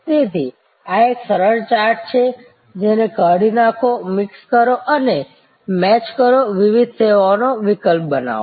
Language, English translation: Gujarati, So, this is a simple chart, add delete, mix and match, create different service alternatives